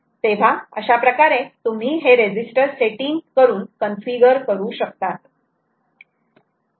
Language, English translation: Marathi, you would actually configure, do a register setting